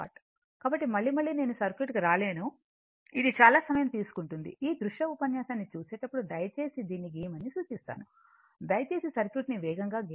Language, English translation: Telugu, So, again and again I have not come to the circuit then it will consume lot of time, I will suggest please draw this when you look this look into this videolink lecture, you pleaseyou please draw the circuit faster